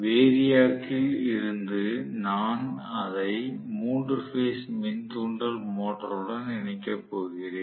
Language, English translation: Tamil, From the variac I am going to connect it to the 3 phase induction motor